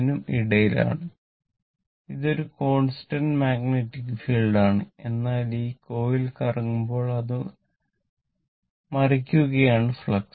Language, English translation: Malayalam, It is a constant magnetic field, but when this coil is revolving it is cutting the flux, right